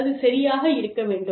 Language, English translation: Tamil, It should be, just right